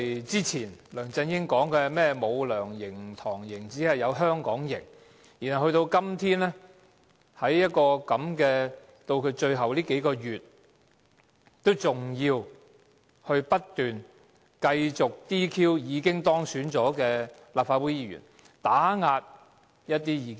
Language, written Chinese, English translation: Cantonese, 之前，梁振英表示不會有"梁營"、"唐營"，只會有"香港營"，但到了今天，在他任期最後數個月之時，他仍要不斷 "DQ" 已當選的立法會議員，打壓一些異見者。, Back then LEUNG Chun - ying said there would not be LEUNGs camp nor TANGs camp but only Hong Kong camp . Yet today with only a few months remaining in his tenure he continues to seek disqualification of elected Members of the Legislative Council and suppress dissidents